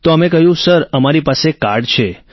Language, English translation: Gujarati, Then I said sir, I have it with me